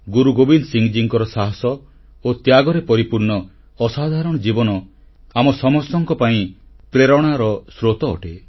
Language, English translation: Odia, The illustrious life of Guru Gobind Singh ji, full of instances of courage & sacrifice is a source of inspiration to all of us